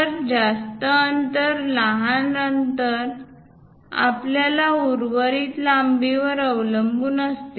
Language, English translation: Marathi, So, the greater distance, smaller distance depends on how much length we have leftover